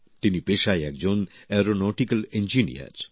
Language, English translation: Bengali, By profession he is an aeronautical engineer